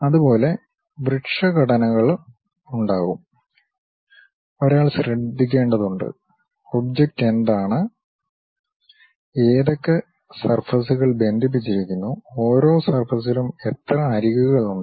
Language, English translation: Malayalam, Similarly, there will be tree structures one has to be careful, something like what is the object, which surfaces are connected and each surface how many edges are there